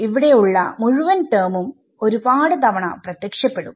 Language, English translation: Malayalam, So, this whole term over here it will appear many times